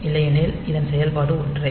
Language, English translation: Tamil, So, otherwise the operation is same